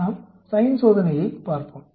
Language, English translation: Tamil, Let us look at the Sign test